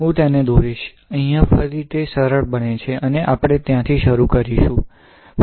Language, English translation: Gujarati, So, I will draw it right, here again, it becomes easier and we will start from there